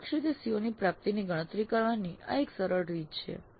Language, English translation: Gujarati, But this is one simple way of computing the attainment of COs in an indirect fashion